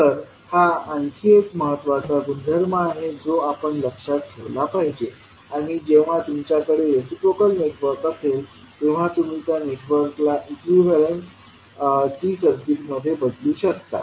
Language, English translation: Marathi, So, this is another important property which you have to keep in mind and when you have a reciprocal network, you can replace that network by an equivalent T circuit